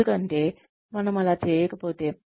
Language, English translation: Telugu, Because, if we do not, do that